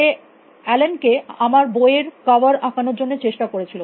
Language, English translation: Bengali, As she had try to get Allen to draw the cover for my book